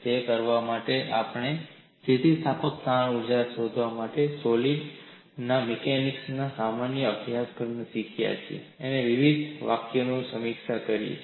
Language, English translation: Gujarati, In order to do that, we have reviewed various expressions that we have learned in a general course and mechanics of solids to find out the elastic strain energy